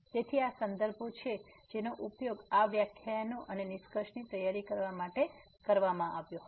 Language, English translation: Gujarati, So, these are the references which were used for preparing these lectures and the conclusion